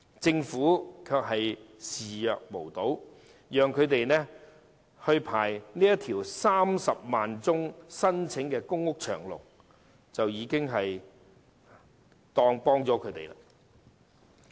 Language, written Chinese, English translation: Cantonese, 政府對此視若無睹，只讓這些家庭列入有近30萬宗申請的公屋輪候冊上"排長龍"，便當作已提供幫助。, The Government turns a blind eye and considers that assistance has already been given to these households by listing them on the Waiting List for Public Rental housing PRH which already has some 300 000 applications